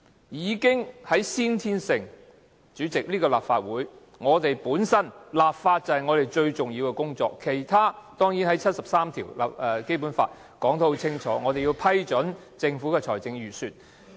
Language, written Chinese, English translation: Cantonese, 已經在先天上——主席，這個立法會，立法本身就是我們最重要的工作，而其他工作，當然在《基本法》第七十三條清楚說明，我們要批准政府的財政預算。, Intrinsically President we are the Legislative Council and making laws is naturally our paramount duty . We of course have other tasks and they are stipulated clearly in Article 73 of the Basic Law . These tasks include the approval of the budgets introduced by the Government